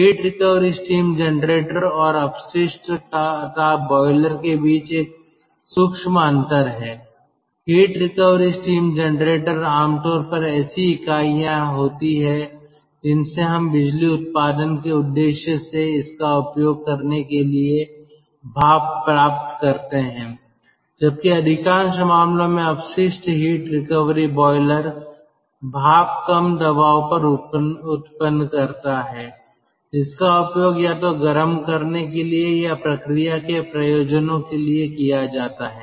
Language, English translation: Hindi, heat recovery steam generator are generally units from which we get steam for using it for the purpose of power generation, whereas waste heat recovery boiler in ah most of the cases generates steam at low pressure and that is used either for heating or process purposes